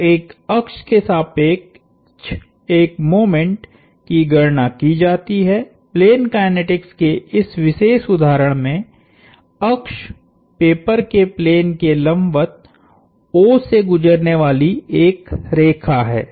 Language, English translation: Hindi, So, a moment is calculated about an axis, the axis in this particular instance of plane kinetics is a line passing through O perpendicular to the plane of the paper